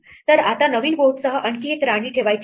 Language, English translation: Marathi, So, what we need to do is now with the new board we have to place one more queen